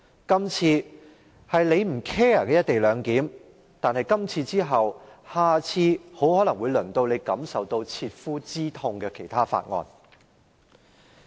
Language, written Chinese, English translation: Cantonese, 今次是你不關心的"一地兩檢"，但下次很可能會輪到讓你感受到切膚之痛的其他法案。, This time it is the co - location arrangement that you do not care about but next time it may well be another bill that is closely relevant to your interests